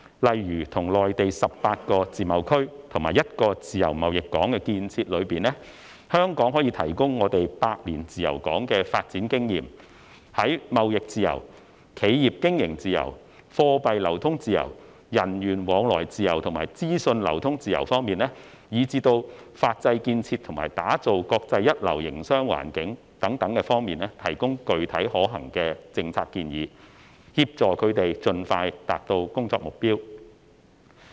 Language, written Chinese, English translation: Cantonese, 例如在內地18個自貿區和1個自由貿易港建設中，香港可提供百年自由港的發展經驗，在貿易自由、企業經營自由、貨幣流通自由、人員往來自由和資訊流通自由方面，以至法制建設和打造國際一流營商環境等方面提供具體可行的政策建議，協助他們盡快達到工作目標。, For example for the construction of 18 free trade zones and 1 free trade port in the Mainland Hong Kong can provide its free port development experience of over a century and provide concrete and feasible policy recommendations in terms of the free trade free enterprise management free currency circulation free movement of people free flow of information legal system construction and world - class business construction and assist them in achieving their goals as soon as possible